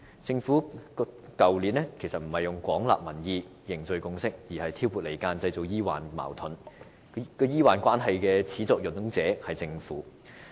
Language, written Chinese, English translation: Cantonese, 政府去年並沒有廣納民意、凝聚共識，而是挑撥離間，製造醫患矛盾。破壞醫患關係的始作俑者是政府。, Last year rather than accepting the peoples opinions to forge a consensus the Government sought to foment discord and stir up the antagonism of doctors and patients The Government is the very culprit who has damaged doctor - patient relationship